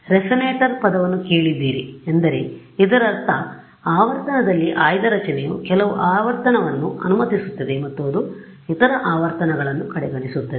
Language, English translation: Kannada, So, you all have heard the word resonator it means that its a structure which is selective in frequency it allows some frequency and it disregards the other frequencies